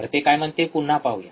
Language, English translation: Marathi, What it say let us see again